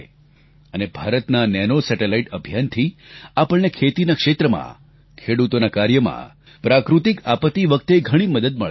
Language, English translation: Gujarati, And with India's Nano Satellite Mission, we will get a lot of help in the field of agriculture, farming, and dealing with natural disasters